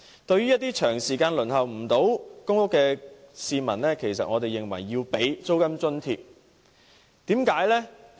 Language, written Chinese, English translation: Cantonese, 對於一些長時間未能"上樓"的市民，我們認為政府應提供租金津貼。, I think the Government should provide rent subsidy to people who have applied for PRH for a long time but are still not allocated any units